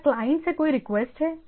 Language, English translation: Hindi, Is there any request from the client